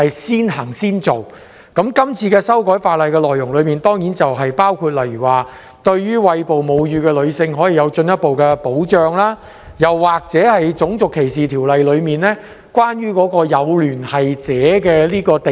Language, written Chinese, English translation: Cantonese, 《條例草案》的修訂內容當然包括對餵哺母乳的女性作進一步保障，以及修訂《種族歧視條例》，以保障某人的有聯繫者免受歧視。, Of course the amendments to the Bill include providing further protection for breastfeeding women and amending the Race Discrimination Ordinance RDO to protect a persons associates from discrimination